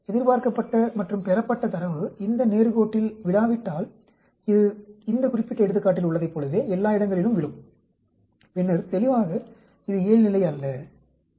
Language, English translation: Tamil, If the at data expected and the observed do not fall in this straight line, it falls all over the place like in this particular example, then obviously, it is a non normal and the p value will be less than 0